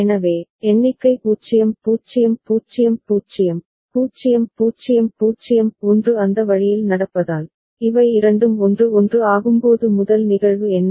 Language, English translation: Tamil, So, with the count happening 0 0 0 0, 0 0 0 1 that way what is the first instance when these two become 1 1